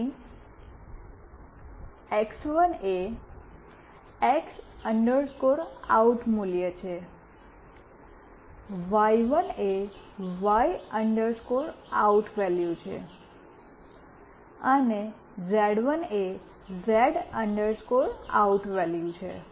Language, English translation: Gujarati, Here x1 is the X OUT value, y1 is the Y OUT value, and z1 is the Z OUT value